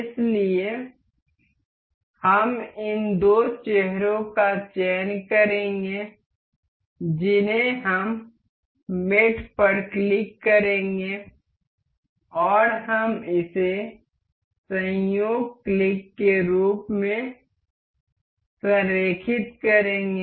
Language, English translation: Hindi, So, we will select these two faces we will click on mate and we will align this as coincident click ok